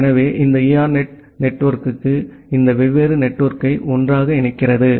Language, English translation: Tamil, So, these ERNET network they interconnects all these different network together